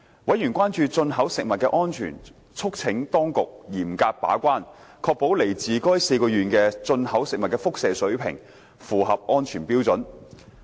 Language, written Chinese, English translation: Cantonese, 委員關注進口食物的安全，促請當局嚴格把關，確保來自該4個縣的進口食物的輻射水平符合安全標準。, Members expressed concern about the safety of imported food and urged the Administration to uphold an effective gatekeeping role to ensure that food imported from the four prefectures would meet the safety standards for radiation levels